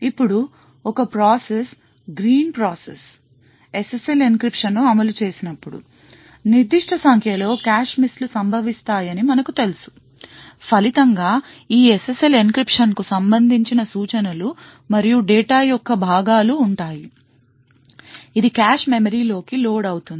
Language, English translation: Telugu, Now, when the process one the green process executes the SSL encryption, as we know that there would be a certain number of cache misses that occurs, and as a result there will be parts of the instruction and data corresponding to this SSL encryption, which gets loaded into the cache memory